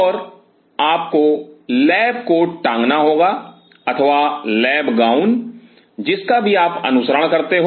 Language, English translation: Hindi, And you have to put on the lab coat or the lab gown what isoever your following